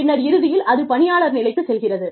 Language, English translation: Tamil, And then, eventually, employee level